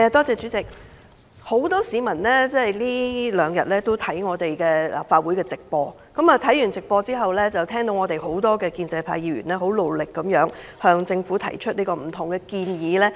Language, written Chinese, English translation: Cantonese, 主席，很多市民這兩天都在觀看立法會會議的直播。他們在直播中看到許多建制派議員努力向政府提出各種建議。, Chairman many people have watched the live broadcast of the Council meeting these two days noticing how pro - establishment Members have worked hard to advise the Government